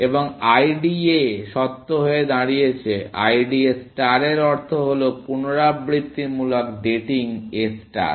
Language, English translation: Bengali, And IDA stands, IDA star stands for iterative datening A stars